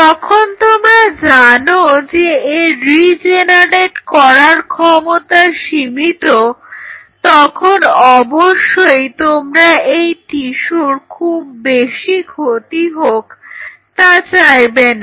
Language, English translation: Bengali, So, if you know it has a limited ability to regenerate you do not want to damage this tissue extensively